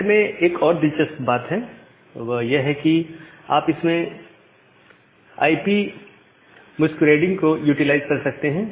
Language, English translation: Hindi, Now another interesting thing is in NAT is that you can utilize something called IP masquerading